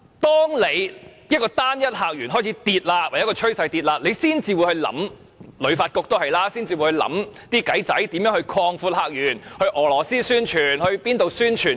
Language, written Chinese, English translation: Cantonese, 當單一客源的數字呈下跌趨勢，香港旅遊發展局才會開始提出點子來擴闊客源，到俄羅斯或其他地方宣傳香港。, It is only when the number of visitors from a single source displays a downward trend that the Hong Kong Tourism Board HKTB begins to propose methods to open up new visitor sources . They go to Russia and other places to promote Hong Kong